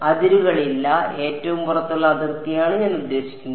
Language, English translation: Malayalam, No boundary I mean the outermost boundary